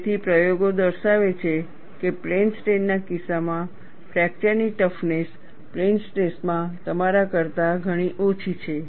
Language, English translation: Gujarati, So, the experiments revealed, the fracture toughness in the case of plane strain is far below what you have in plane stress